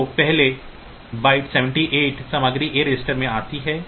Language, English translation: Hindi, So, first byte 78 the bytes the memory location 78 content comes to the a register